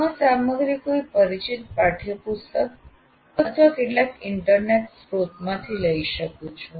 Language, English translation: Gujarati, I may be using this material from a particular textbook or some internet resource